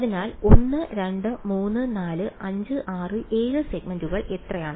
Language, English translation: Malayalam, So, so how many segments are there 1 2 3 4 5 6 7 segments